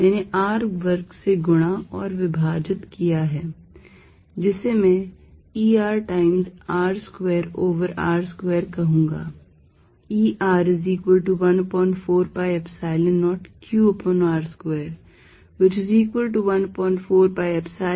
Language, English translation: Hindi, I have multiplied and divided by capital R square, which I am going to say E R times R square over r square